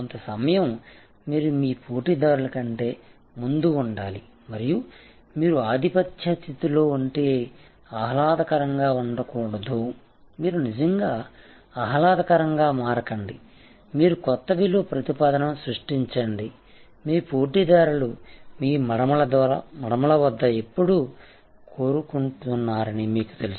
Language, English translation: Telugu, Some time you should be I ahead of your competitors and not become pleasant if you are in a dominant position do not actually become pleasant you create new value proposition is respective of what where you are knowing that your competitors are always biting at your heels, so therefore, you need to be always one up